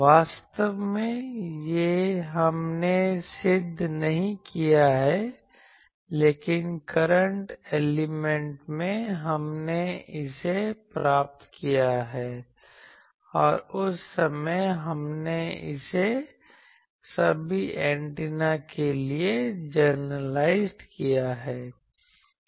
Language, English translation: Hindi, Actually, this we have not proved; but in current element, we have derived it and that time, we have generalized it for all antennas